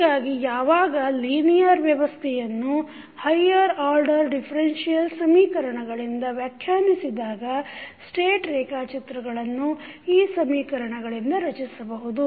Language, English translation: Kannada, So, when the linear system is described by higher order differential equations the state diagram can be constructed from these equations